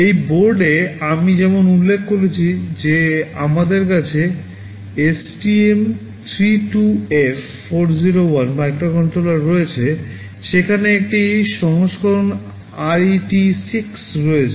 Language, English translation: Bengali, In this board as I mentioned we have STM32F401 microcontroller, there is a version RET6